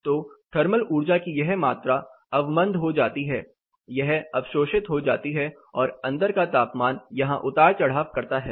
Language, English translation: Hindi, So, this much amount of thermal energy is dampened, this is absorbed and the inside temperature fluctuates here